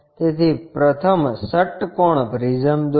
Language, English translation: Gujarati, So, first draw a hexagonal prism